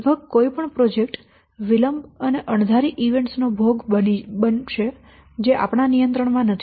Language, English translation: Gujarati, So almost any project it will be subject to delays and unexpected events that is not under our control